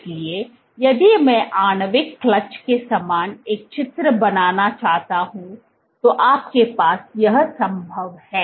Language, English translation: Hindi, So, if I want to draw a picture similar to that of a molecular clutch what you have is as possible